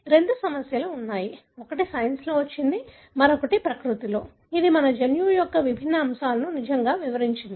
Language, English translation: Telugu, There are two issues; one that came in Science, the other one in Nature, which really detailed the different aspects of our genome